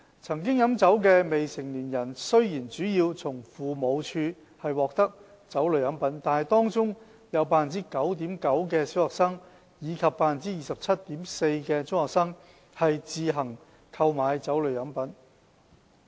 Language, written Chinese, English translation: Cantonese, 曾經飲酒的未成年人雖然主要從父母獲得酒類飲品，但當中也有 9.9% 的小學生及 27.4% 的中學生飲用自行購買的酒類飲品。, Minors with liquor experience mainly obtained liquor drinks from their parents . But there were also 9.9 % of primary school students and 27.4 % of secondary school students who purchased liquor drinks on their own